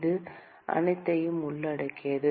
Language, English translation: Tamil, It includes everything